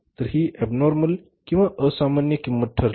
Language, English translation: Marathi, So, this became the abnormal cost